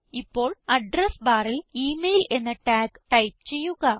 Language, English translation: Malayalam, Now, in the Address bar, type the tag, email